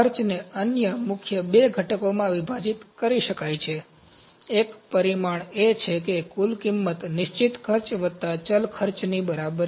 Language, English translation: Gujarati, The cost can be divided into two other major components; one of the quantification is total cost is equal to fixed cost plus variable cost